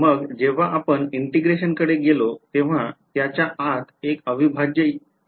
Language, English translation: Marathi, Then when we went to integration there was an integral sign inside it